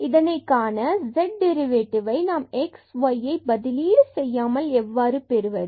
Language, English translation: Tamil, So, we will derive a formula how to get the derivative of this z without substituting this x and y here in this function